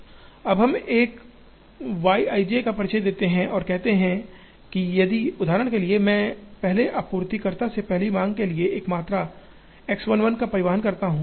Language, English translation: Hindi, Now, we introduce a Y i j and say that, if for example, I transport a quantity X 1 1 from the first supplier to the first demand